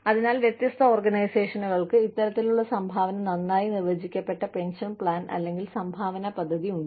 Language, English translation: Malayalam, So, different organizations, have this kind of contributory, well defined pension plan, or contribution plan